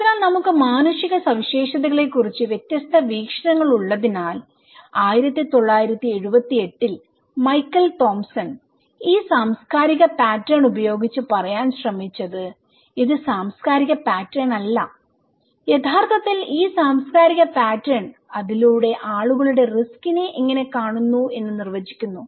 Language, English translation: Malayalam, So, because we have different perspective of human features so, Michael Thomson in 1978 and he was trying to say using this cultural pattern that it is not the cultural pattern that exists and also this cultural pattern actually, through it defines that how people see the risk okay, how people see the risk